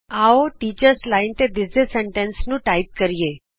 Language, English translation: Punjabi, Let us type the sentence displayed in the Teachers line